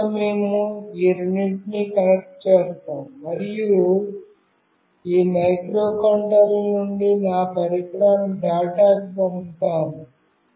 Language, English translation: Telugu, First we will just connect these two, and we will send a data from this microcontroller to my device